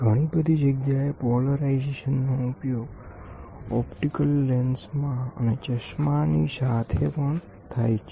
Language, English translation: Gujarati, Lot of applications are reflect the polarization is used in optical lenses with they are also used in spectacles